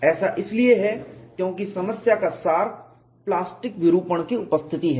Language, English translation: Hindi, This is because the essence of the problem is the presence of plastic deformation